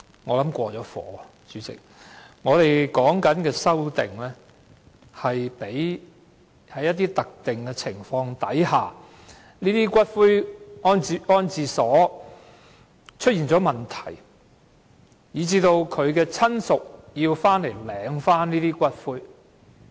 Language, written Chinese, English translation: Cantonese, 我們提出的修正案旨在處理一些特定情況，即因這些骨灰安置所出現問題而令死者親屬要回來領回骨灰的情況。, Our proposed amendments seek to deal with some specific circumstances such as the claim of ashes by the relative of the deceased due to problems with columbaria